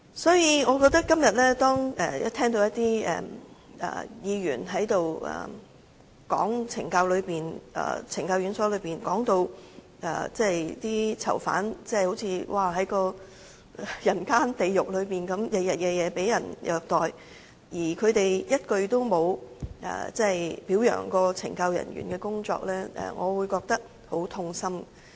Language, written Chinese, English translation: Cantonese, 所以，今天當我聽到有議員講述懲教院所的情況，把囚犯說成是活在人間地獄，日日夜夜也被人虐待，卻一句也沒有表揚懲教人員的工作，我認為便是很痛心的。, It is truly heartrending to hear the narratives made by some Members that inmates staying in penal institutions are just like they are living in a hell on earth and being ill - treated every day but not a single word is spoken to commend the work of CSD staff